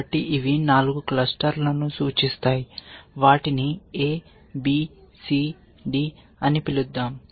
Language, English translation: Telugu, So, these represent 4 clusters let us call them A, B, C, D